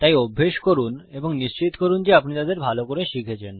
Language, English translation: Bengali, So, practice these and make sure you learn them well